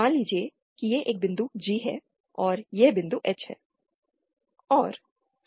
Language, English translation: Hindi, Suppose this is a point say G and this is the point say H